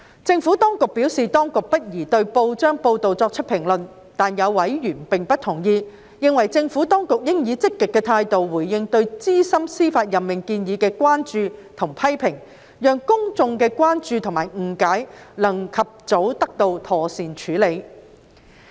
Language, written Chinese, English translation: Cantonese, 政府當局表示，當局不宜對報章報道作出評論，但有委員並不同意，認為政府當局應以積極的態度回應對於資深司法任命建議的關注或批評，讓公眾的關注或誤解能及早得到妥善處理。, The Administration has advised that it is not in a position to comment on press reports . Yet some members disagree and consider that the Administration should take a proactive approach when responding to concerns or criticisms about the proposed senior judicial appointment so that public concerns or misunderstandings may be properly addressed at an early stage